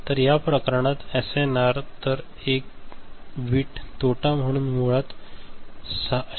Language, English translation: Marathi, So, in this case the SNR, so one bit loss means basically 6